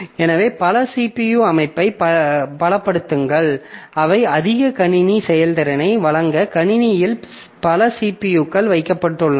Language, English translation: Tamil, So, multiple the multi CPU systems, so they means that multiple CPUs are placed in the computer to provide more computing performance